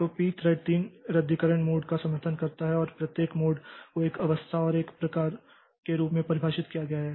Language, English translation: Hindi, So, p thread supports three cancellation modes and each mode is defined as a state and a type